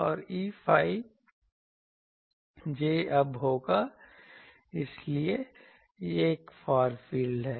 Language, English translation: Hindi, And E phi will be j ab so, these are the far fields